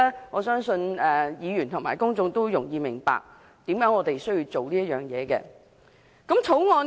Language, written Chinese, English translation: Cantonese, 我相信議員和公眾都容易明白，為甚麼我們需要做這工作。, I think Members as well as the public will understand why we need to do so